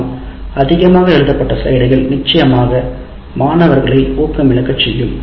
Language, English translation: Tamil, But overwritten slides can certainly demotivate the students and it happens